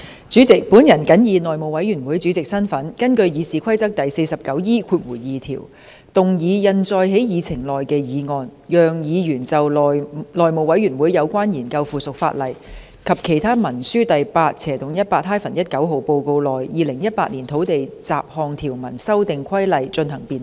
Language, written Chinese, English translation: Cantonese, 主席，我謹以內務委員會主席的身份，根據《議事規則》第 49E2 條，動議印載在議程內的議案，讓議員就《內務委員會有關研究附屬法例及其他文書的第 8/18-19 號報告》內的《2018年土地規例》進行辯論。, President in my capacity as Chairman of the House Committee I move the motion as printed on the Agenda in accordance with Rule 49E2 of the Rules of Procedure be passed so that Members can debate the Land Amendment Regulation 2018 as set out in Report No . 818 - 19 of the House Committee on Consideration of Subsidiary Legislation and Other Instruments